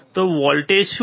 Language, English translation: Gujarati, So, what is the voltage